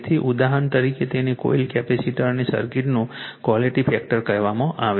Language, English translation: Gujarati, So, the quality factor of coils capacitors and circuit is defined by